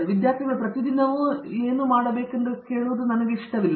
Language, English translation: Kannada, I do not like students to come in every day and ask what they should be doing